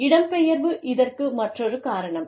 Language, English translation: Tamil, Then, migration is another reason, for this